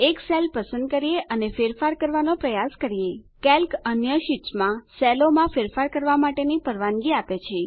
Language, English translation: Gujarati, Lets select a cell and try to edit it Calc allows us to edit the cells in the other sheets